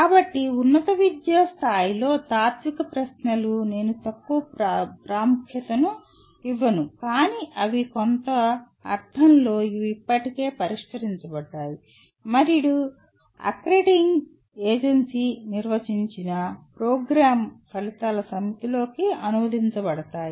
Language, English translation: Telugu, So, at higher education level, the philosophical questions are I would not call less important but they in some sense they are already addressed and get translated into a set of program outcomes defined by accrediting agency